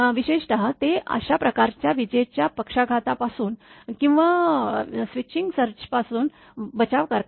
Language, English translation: Marathi, Particularly they protect from the fault from this type of lightning stroke or switching surges right